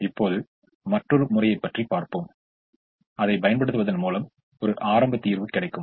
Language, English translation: Tamil, now we will look at another method where using which we will get a starting solution